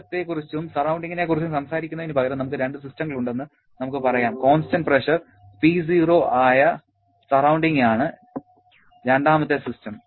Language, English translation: Malayalam, Instead of talking about system and surrounding, let us say we have two systems, the surrounding being the second one which is at a constant pressure of P0